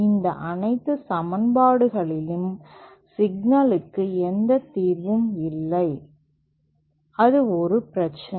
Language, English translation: Tamil, The problem with all these sets of equation is that they do not have any solution, that is a problem